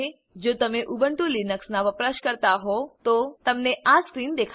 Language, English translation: Gujarati, If you are an Ubuntu Linux user, you will see this screen